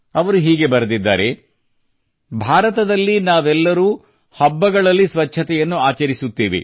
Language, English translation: Kannada, She has written "We all celebrate cleanliness during festivals in India